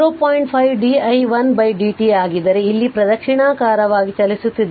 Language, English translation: Kannada, 5 di 1 upon dt then we are moving we are moving here clockwise